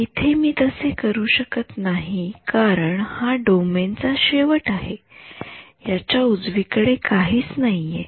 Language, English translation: Marathi, Here I cannot do that because it is the end of the domain I have nothing to the right of this